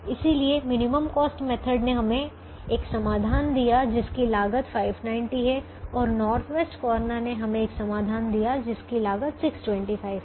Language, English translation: Hindi, so the minimum cost gave us a solution with five hundred and ninety and the north west corner gave us a solution with six hundred and twenty five